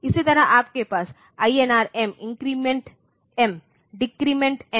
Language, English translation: Hindi, Similarly, your INR M increment M decrement M